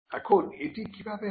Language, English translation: Bengali, Now how is this done